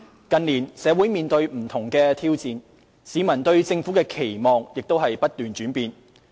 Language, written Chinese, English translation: Cantonese, 近年，社會面對不同的挑戰，市民對政府的期望亦不斷轉變。, In recent years society as a whole has risen to various challenges whereas public expectations of the Government keep changing